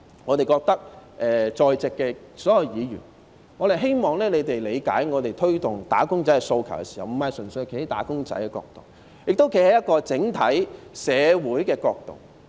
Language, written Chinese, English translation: Cantonese, 我們亦希望在席的所有議員理解，我們在推動"打工仔"的訴求時，並非純粹站在"打工仔"的角度，同時亦站在整體社會的角度。, We hope that all Members in this Chamber will appreciate that we champion for the aspirations of wage earners not purely from the perspective of wage earners but also from the perspective of society as a whole